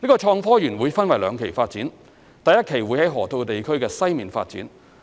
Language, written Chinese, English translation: Cantonese, 創科園會分兩期發展，第一期會在河套地區西面發展。, HSITP will be developed in two phases . The first phase involves the development of the western part of the Loop